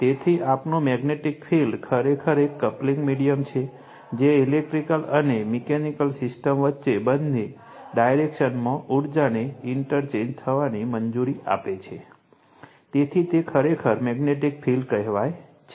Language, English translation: Gujarati, So, and our magnetic field actually is a coupling medium allowing interchange of energy in either direction between electrical and mechanical system right, so that is your what you call that at your it is what a actually magnetic field